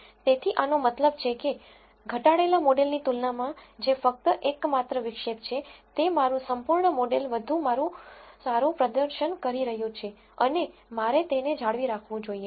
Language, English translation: Gujarati, So, this tells you that compared to the reduced models which are the only intercept my full model is performing better and I should retain it